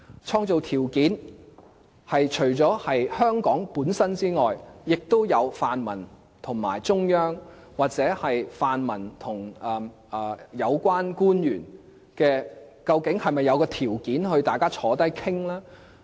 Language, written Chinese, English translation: Cantonese, 創造條件是除了香港本身之外，亦涉及泛民和中央，又或泛民和有關官員，究竟是否有條件大家坐下來討論呢？, In doing so apart from the effort to be made in Hong Kong the conditions between the pan - democrats and the Central Authorities or between the pan - democrats and the relevant officials are involved . Is there any condition for everyone to sit down for a discussion?